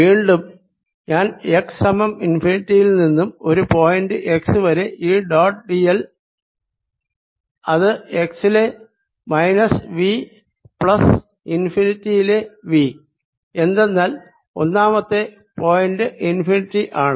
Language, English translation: Malayalam, now i am moving from x, equal to infinity, to a point x, e dot, d l, which will be equal to v at x, with a minus sign plus v at infinity, because point one is infinity